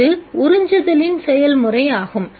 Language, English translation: Tamil, This is a process of absorption